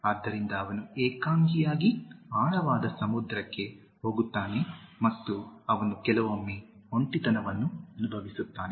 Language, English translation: Kannada, So, he goes alone into the deep sea and he sometimes even feels lonely